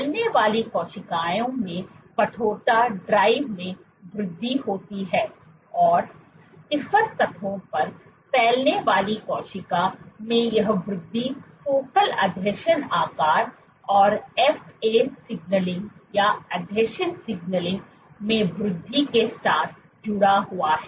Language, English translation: Hindi, There is increase in stiffness drives increase in cells spreading and this increase in cell spreading on stiffer surfaces is associated with increased in focal adhesion size and FA signaling